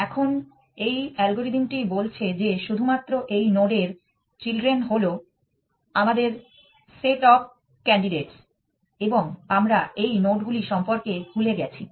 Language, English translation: Bengali, Now, this algorithm is saying that the set of candidates is only these children of this node that we have generated and we have forgotten about those are the nodes